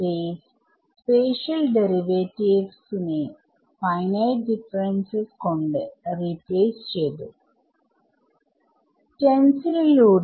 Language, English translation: Malayalam, Space special derivatives has replaced by finite differences in space across this stencil